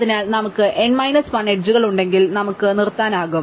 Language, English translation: Malayalam, So, once we have n minus 1 edges we can stop